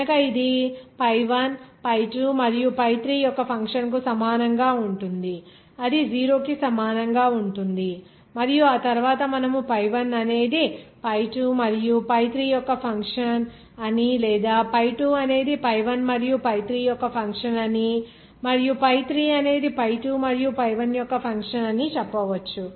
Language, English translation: Telugu, So that will be equal to function of pi 1 pi2and pi 3 that will equal to 0 and after that, you can make any relationship like pi 1 is a function of pi 2 and pi 3 or you can say that pi 2 is a function of pi1 and pi3 or you can say pi3 is a function of pi1 and pi2